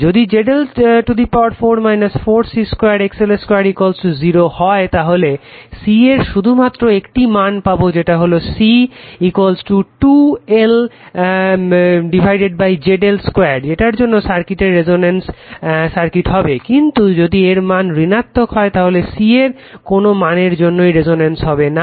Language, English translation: Bengali, So, and if Z L to the power 4 minus 4 C square XL square is equal to 0 you will have only one value of c right 2L upon ZL Square at which circuit your what we call is resonance circuit right, but if this term becomes negative there is no value of C that circuit will become resonant